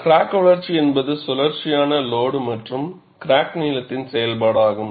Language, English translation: Tamil, Crack growth is a function of cyclical load and also crack length